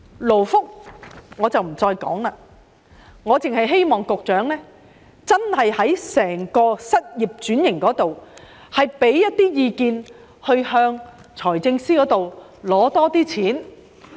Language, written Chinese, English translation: Cantonese, 我不再談及勞工及福利，我只希望局長就失業轉型方面提供一些意見，向財政司司長多申請撥款。, I will not further speak on labour and welfare . I only hope that the Secretary will offer his viewpoints on occupation switching and seek more funding from the Financial Secretary